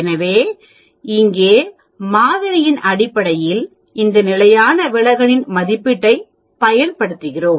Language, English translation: Tamil, So here we use the estimate of this standard deviation based on the sample